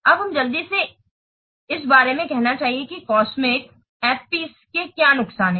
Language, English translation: Hindi, Now let's quickly see about the what disadvantages of the cosmic FPs